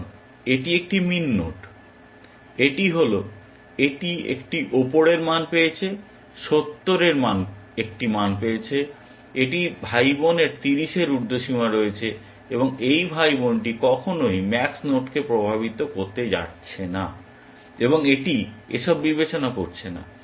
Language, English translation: Bengali, Because it is a min node, it is, it is got an upper, it is, it is value got a, got a value of 70, it is sibling has an upper bound of 30, and this sibling is never going to influence this max node, and it is going to not consider this at all